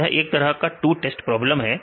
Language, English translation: Hindi, Is a kind of two state problems